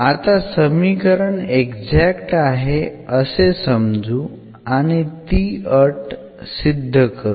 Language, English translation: Marathi, So, let the equation be exact, so we assume that the equation is exact and then we will prove that this condition holds